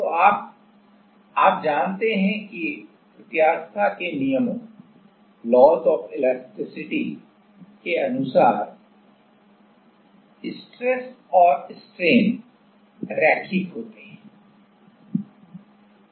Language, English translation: Hindi, So, now, you know that according to laws of elasticity stress and strain are linear